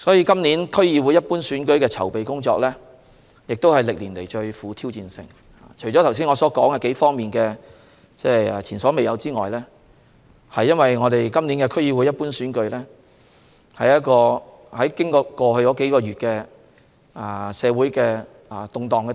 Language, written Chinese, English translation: Cantonese, 今次區議會一般選舉的籌備工作是歷年來最富挑戰性的，除了我剛才提到在數方面的前所未有情況外，今次區議會一般選舉經歷了過去數月的社會動盪。, Making preparations for this DC Ordinary Election is the most challenging task over the years . In addition to the unprecedented situations that I have just mentioned this DC Ordinary Election has gone through the social turmoil in the past few months